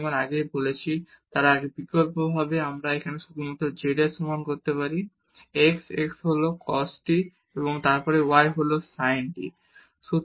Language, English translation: Bengali, As I said they alternatively we can just substitute here z is equal to x x is the cos t and then y is sin t